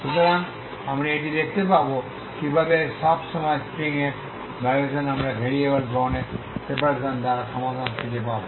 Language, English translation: Bengali, So we will see this how what is the vibration of the string for all the times we will just find solutions by the separation of variables taking